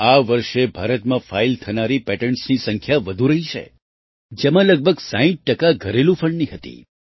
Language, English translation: Gujarati, This year, the number of patents filed in India was high, of which about 60% were from domestic funds